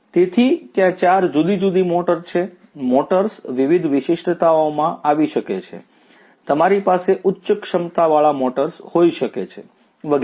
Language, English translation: Gujarati, So, there are 4 different motors; motors can come in different you know specifications you can have higher capacity motors and so on